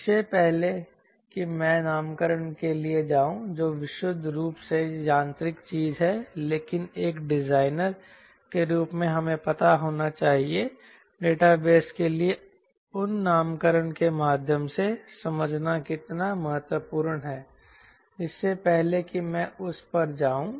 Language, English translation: Hindi, before i go for the nomenclature which is purely mechanical thing but where the designers should know how important it is for us to understand the database via those nomenclature